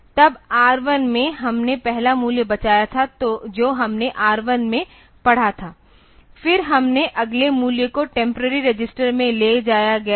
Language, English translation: Hindi, And then in R1 we had saved that the first value that we had read in R1, then we have read about the next value into the moved down to the temporary register